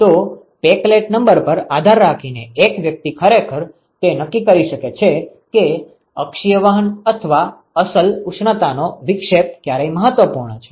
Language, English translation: Gujarati, So, depending upon the peclet number one could actually sort of discern as to when the axial conduction or actual thermal dispersion is important ok